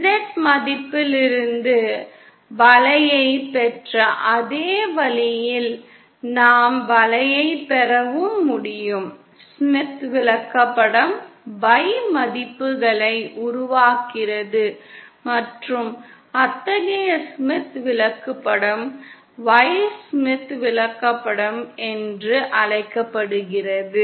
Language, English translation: Tamil, In the same way that we obtained the curve from Z value, we should also be able to get the curve, Smith chart form the Y values and such a Smith chart is called as Y Smith chart